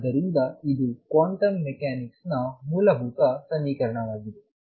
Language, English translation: Kannada, So, this is the fundamental equation of quantum mechanics